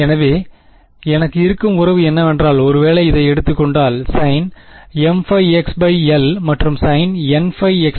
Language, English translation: Tamil, So, the relation that I have is at the; if I take this, so sin let us say m pi x by l and sin n pi x by l